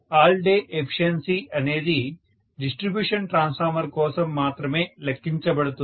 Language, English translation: Telugu, All day efficiency is done only for, so this is calculated only for distribution transformer